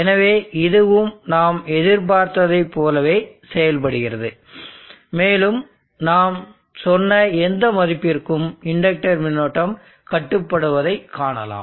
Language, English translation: Tamil, So this is also behaving exactly like what we anticipated and you see that the inductor current is controlled to whatever value you said